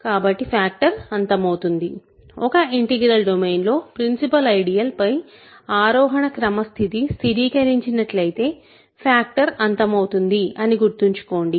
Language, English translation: Telugu, So, factoring terminates; remember in an integral domain factoring terminates if the ascending chain condition on principal ideals stabilizes